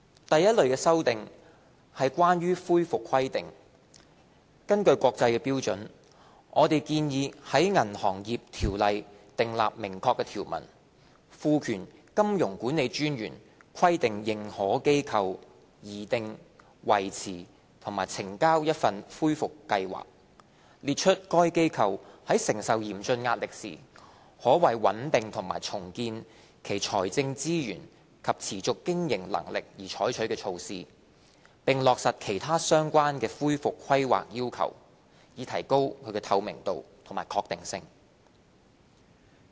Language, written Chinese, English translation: Cantonese, 第一類的修訂是關於恢復規劃，根據國際標準，我們建議在《銀行業條例》訂立明確條文，賦權金融管理專員規定認可機構擬訂、維持和呈交一份恢復計劃，列出該機構在承受嚴峻壓力時，可為穩定和重建其財政資源及持續經營能力而採取的措施，並落實其他相關的恢復規劃要求，以提高透明度及確定性。, The first type of amendments is about recovery planning . According to international standards we propose making clear provisions in the Banking Ordinance BO to confer a general power on the Monetary Authority MA to require an authorized institution AI to prepare maintain and submit a recovery plan setting out the measures that AI can take to stabilize and restore its financial resources and viability when AI comes under severe stress; and to meet other relevant recovery planning requirements to enhance transparency and certainty